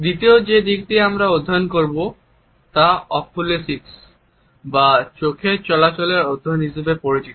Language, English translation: Bengali, The second aspect which we shall study is known as Oculesics or the study of eye movement